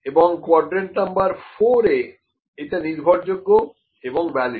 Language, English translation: Bengali, So, in quadrant number 2, it is unreliable and un valid